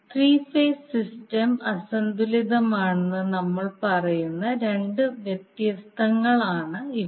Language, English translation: Malayalam, So these are the two possible conditions under which we say that the three phase system is unbalanced